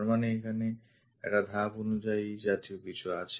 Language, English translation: Bengali, That means, here there is a step kind of thing